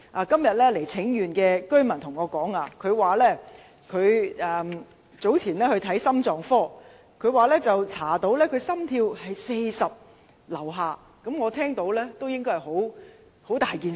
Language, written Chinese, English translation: Cantonese, 今天有位前來請願的九龍東居民告訴我，他早前到心臟科求診，發現心跳率只有40以下，我單是聽也覺得是大事。, Today a resident of Kowloon East who came to take part in the demonstration told me that he had attended a cardiology consultation earlier and his heart rate was found to be below 40 . Just by hearing him talk I could tell it was serious